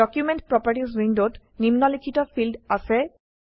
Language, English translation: Assamese, Document properties window has the following fields